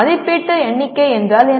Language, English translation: Tamil, Evaluation count means what